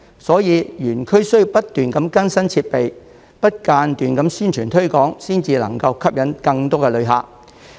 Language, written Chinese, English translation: Cantonese, 所以，園區需要不斷更新設備，不間斷地宣傳推廣，才能吸引更多旅客。, Therefore constant updating of facilities and ongoing promotion and publicity campaigns are necessary in order to attract more visitors